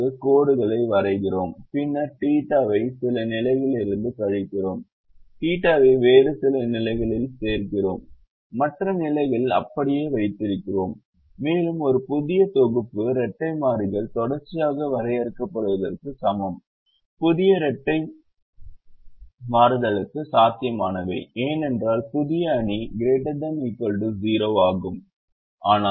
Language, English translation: Tamil, now, when the given matrix is unable to give us a feasible solution, we do this lines, we draw the lines and then we subtract theta from some positions, we add theta to some other positions and keep other positions the same, and that is equivalent to defining a new set of dual variables consistently, such that the new set of dual variables is also a feasible, because the new matrix is also greater than or equal to zero